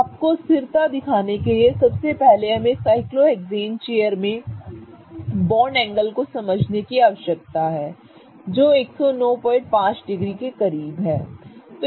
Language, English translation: Hindi, So, in order to show you the stability, firstly we need to understand the bond angle in a cyclohexane chair is very close to 109